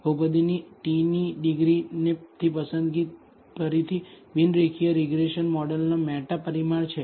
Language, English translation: Gujarati, The choice of the degree of the polynomial to t is again the a meta parameter of the non linear regression model